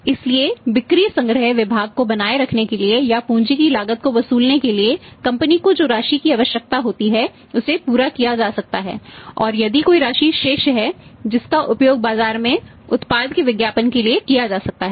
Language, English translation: Hindi, So, that the part which is being say required by the company to beat it say maintaining the sales collection department or for say recovering the cost of capital that can we met and if any amount is left that that that can be used for further advertising the product in the market